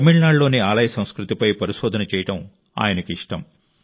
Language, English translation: Telugu, He likes to research on the Temple culture of Tamil Nadu